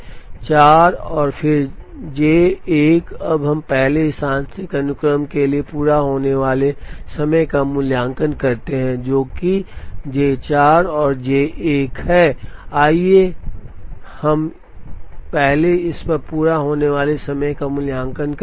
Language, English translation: Hindi, Now, let us first evaluate the completion times for this partial sequence, which is J 4 and J 1, let us first evaluate the completion times on this